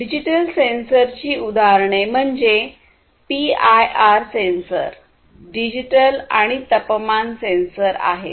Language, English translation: Marathi, So, examples of digital sensors would be PIR sensor, digital temperature sensor and so on